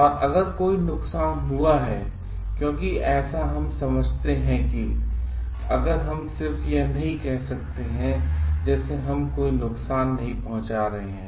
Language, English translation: Hindi, And if any harm is done because we understand if we cannot just say like we are not providing any harm